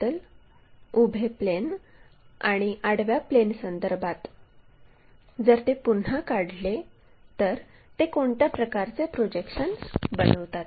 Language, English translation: Marathi, If they are reoriented with respect to the vertical plane, horizontal plane what kind of projections do they make